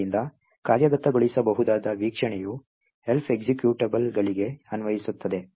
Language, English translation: Kannada, So, the executable view is applicable for Elf executables